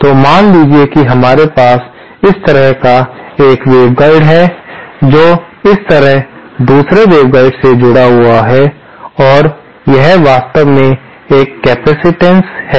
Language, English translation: Hindi, So, suppose we have one waveguide like this and connected to another waveguide like this and this is actually a capacitance